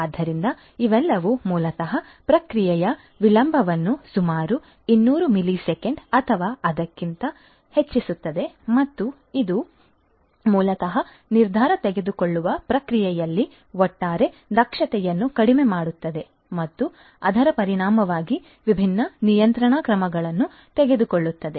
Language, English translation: Kannada, So, all of these basically increases the processing delay by about 200 millisecond or even more and this basically reduces the overall you know this basically reduces the overall efficiency in the decision making process and taking different control actions consequently